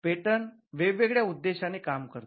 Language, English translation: Marathi, Patent serve different purposes